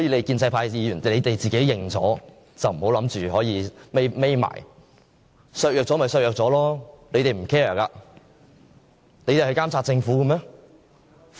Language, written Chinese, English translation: Cantonese, 建制派議員自己承認了就不要躲避，削弱了便削弱了，他們不會 care， 他們會監察政府嗎？, The weakening of the power of the Council is not a big deal for pro - establishment Members as they simply do not care about this . Do you think they will monitor the Government?